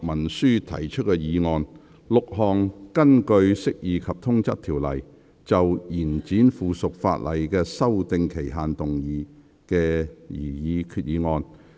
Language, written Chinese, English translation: Cantonese, 6項根據《釋義及通則條例》，就延展附屬法例的修訂期限動議的擬議決議案。, If the Bill passes the motion for Second Reading this Council will proceed to conduct the remaining proceedings on the Bill at that meeting